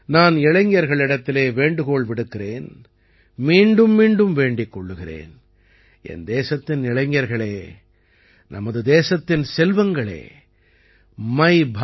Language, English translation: Tamil, I would urge the youth I would urge them again and again that all of you Youth of my country, all you sons and daughters of my country, register on MyBharat